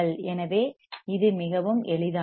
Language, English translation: Tamil, So, it is very easy right